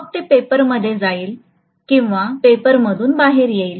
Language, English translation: Marathi, So it will be going into the paper or it will be coming out of the paper